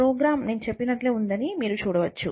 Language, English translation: Telugu, So, you can see that the program is same as what I said